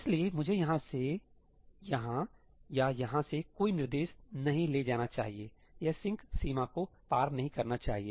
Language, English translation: Hindi, So, I should not move any instruction from here to here or here to here; it should not cross the sync boundary